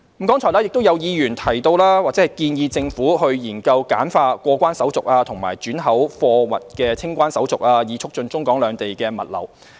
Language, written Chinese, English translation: Cantonese, 剛才亦有議員建議政府研究簡化過關手續及轉口貨物的清關手續，以促進中港兩地的物流。, Some Members have also suggested that the Government should consider simplifying the customs clearance procedures and re - export cargo clearance procedures to promote cargo flow between the two places